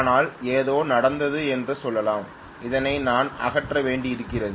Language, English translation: Tamil, But let us say something happened and I had to remove